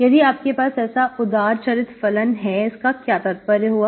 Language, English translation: Hindi, So if you have such, generous functions, so what is the meaning of this